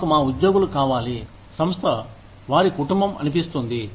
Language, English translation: Telugu, We need our employees, to feel like, the organization is their family